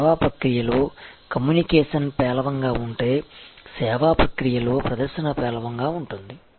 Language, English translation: Telugu, If the communication during the service process is poor, the presentation during the service process is poor